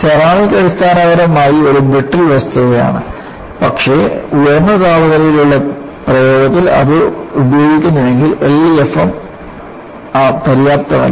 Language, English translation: Malayalam, Ceramic is basically a brittle material, but if it is used in high temperature application, L E F M is not sufficient